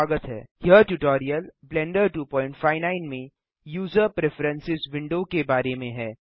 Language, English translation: Hindi, This tutorial is about the User Preferences window in Blender 2.59